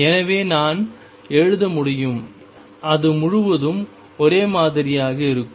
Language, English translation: Tamil, So, I can write it will remain the same throughout